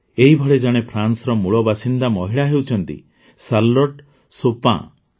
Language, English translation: Odia, Similarly there is a woman of French origin Charlotte Chopin